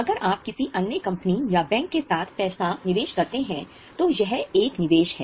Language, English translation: Hindi, If you invest money with some other company or with a bank, then it is a investment